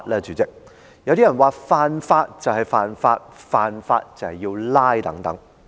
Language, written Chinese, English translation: Cantonese, 主席，有些人說犯法便是犯法，犯法便要被拘捕等。, President some people say that whoever breaks the law is a lawbreaker and a lawbreaker should be apprehended